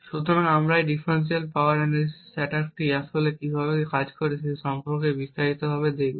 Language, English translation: Bengali, So, we will look at more in details about how this differential power analysis attack actually works